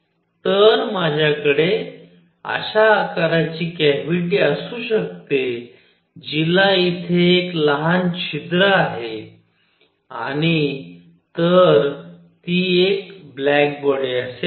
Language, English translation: Marathi, So, I could have this cavity of this shape have a small hole here and even then it will be a black body